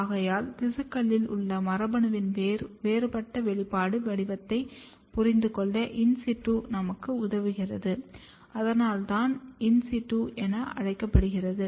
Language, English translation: Tamil, Therefore, in situ helps us to understand the differential expression pattern of the gene in the tissue, that is why called as in situ in its own place